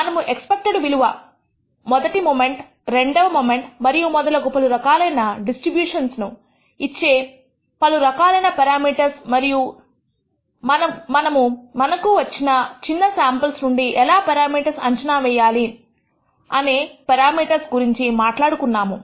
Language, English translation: Telugu, We did talk about parameters such as the expected value or the rst moment and the second moment and so on, and different distributions are different number of parameters and how do we estimate these parameters from a small sample that we obtain